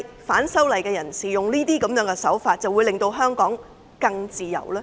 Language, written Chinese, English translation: Cantonese, 反修例人士使用這些手法，是否能夠令香港更自由？, Can those who oppose the legislative amendment make Hong Kong a freer place by such means?